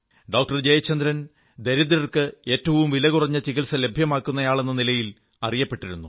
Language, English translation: Malayalam, Jayachandran was known for his efforts of making the most economical treatment possible available to the poor